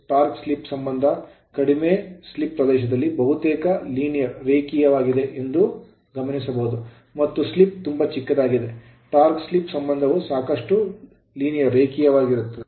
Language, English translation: Kannada, So, equation 41 it can be observed that the torque slip relationship is nearly linear in the region of low slip and when slip is very small then torque slip relationship is quite your linear right